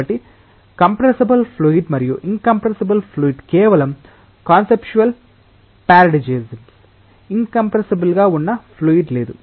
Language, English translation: Telugu, So, compressible fluid and an incompressible fluid these are just conceptual paradigms, there is no fluid as such which is in compressible